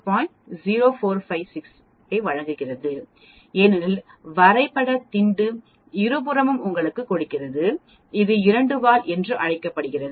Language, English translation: Tamil, 0456 because graph pad gives you on both the sides it is called the two tail